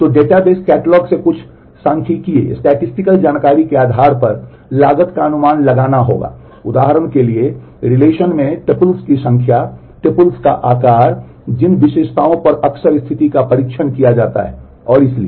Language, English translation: Hindi, So, the cost will have to be estimated based on certain statistical information from the database catalog for example, number of tuples in the relation, the size of the tuples, the attributes on which frequently condition are tested and so, on